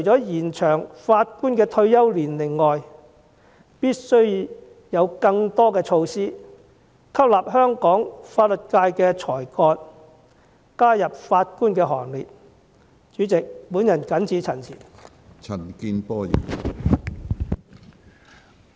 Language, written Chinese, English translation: Cantonese, 延長法官退休年齡，我相信一定有助減輕或最低限度延遲法官因退休而人手流失的問題。, I think extending the retirement age of Judges can definitely alleviate or at the very least delay the wastage of Judges due to retirement which is a factor that aggravates the current shortage of Judges and Judicial Officers